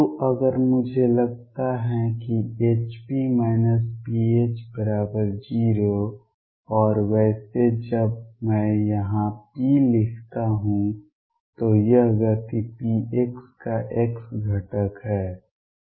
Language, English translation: Hindi, So, if I find that H p minus p H is 0 and by the way when I write p here this is the x component of the momentum p x